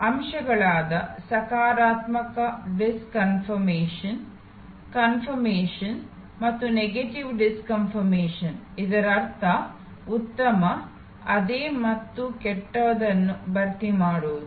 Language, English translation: Kannada, There are elements inside, there are positive disconfirmation, confirmation and negative disconfirmation; that means, filling of better, same and worse